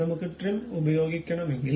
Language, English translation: Malayalam, If I want to really use Power Trim